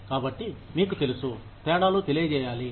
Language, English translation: Telugu, So, you know, these differences need to be communicated